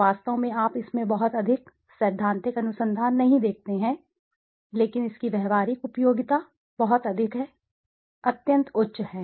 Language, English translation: Hindi, In fact you do not see too much of theoretical research in this but its practical utility is extremely high, extremely high